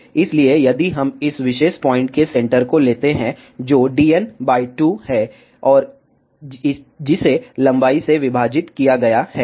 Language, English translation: Hindi, So, if we take the centre of this particular point, which is d n by 2, and that is divided by the length